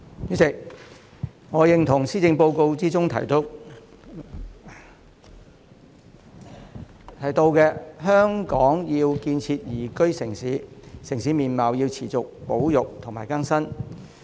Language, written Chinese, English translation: Cantonese, 主席，我認同施政報告中提到香港要建設宜居城市，城市面貌要持續保育和更新。, President I agree with the Policy Address that in order to build a liveable city urban landscape has to be conserved and renewed continuously